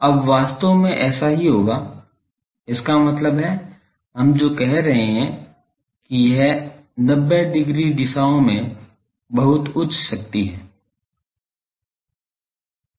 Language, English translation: Hindi, Now, that is what will happen that actually; that means, what we are saying that it is having very high power in this 90 degree directions